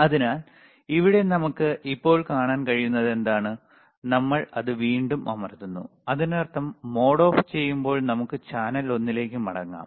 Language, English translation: Malayalam, So, here, we can see now, we are again pressing it; that means, we can go back to channel one when we switch off the mode